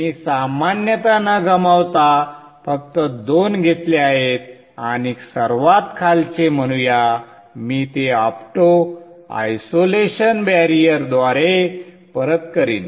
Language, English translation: Marathi, I just taken two without loss of generality and let us say the bottom one I will feed it back through auto isolation barrier